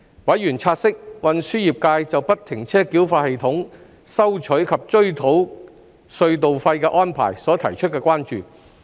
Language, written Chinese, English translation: Cantonese, 委員察悉運輸業界就不停車繳費系統收取及追討隧道費的安排所提出的關注。, Members have noted that the concerns raised by the transport trades regarding toll collection and recovery under FFTS